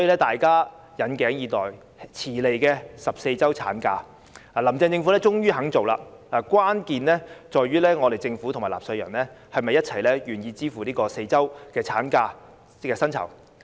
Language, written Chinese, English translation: Cantonese, 大家引頸以待，遲來的14周產假，"林鄭"政府終於肯做，關鍵在於政府和納稅人是否願意一起支付額外4周產假薪酬。, Finally the Carrie LAM Government is willing to implement the long - awaited and belated 14 - week maternity leave . It now hinges on whether the Government and the taxpayers are willing to shoulder the four weeks of additional maternity leave pay